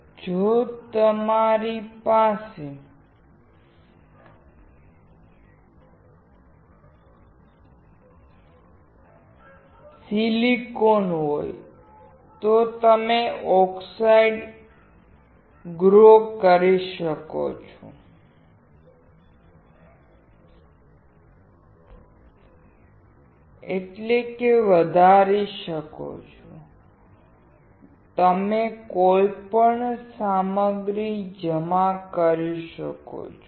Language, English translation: Gujarati, Now, if you have silicon, you can grow oxide; you can deposit any material